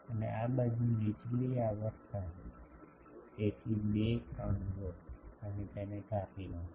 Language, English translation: Gujarati, And this side the lower frequency, so extract 2 3 and truncate it